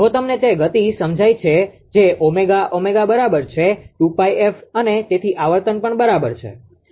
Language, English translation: Gujarati, If you sense the speed that is omega, omega is equal to 2 pi a frequency also right